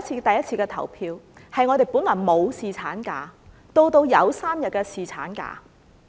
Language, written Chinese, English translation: Cantonese, 上次的投票是我們由本來沒有侍產假，到有3天侍產假。, On the last occasion the voting on paternity leave resulted in an increase from null days to three days of paternity leave